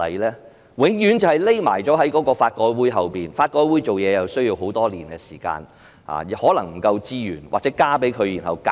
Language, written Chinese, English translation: Cantonese, 政府永遠躲在法改會後，而法改會又需要很多年的時間來進行它的工作。, As always the Government just hides behind LRC while LRC is carrying out its work which takes a good many years